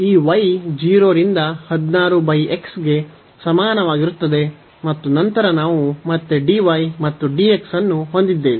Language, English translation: Kannada, So, this y is equal to 0 to 16 over x and then we have again dy and dx